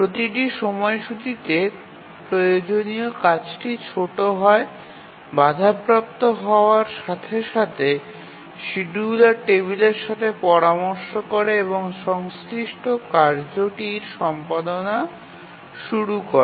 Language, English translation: Bengali, In each schedule the work required is small as soon as the interrupt occurs, just consults the schedule table and start the execution of the corresponding task